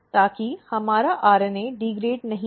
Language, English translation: Hindi, So, that our RNA is not degraded